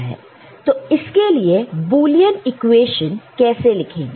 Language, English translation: Hindi, So, how we write an equation for this Boolean equation for this